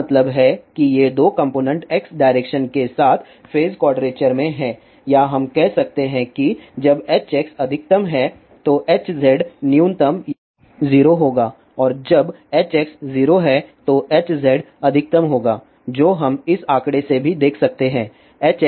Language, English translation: Hindi, It means these two components are in phase quadrager along X direction or we can say when H x is maximum then H z will be minimum or 0 and when H x is 0 then H z will be maximum which we can see from this figure also